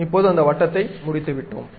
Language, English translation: Tamil, Now, we are done with that circle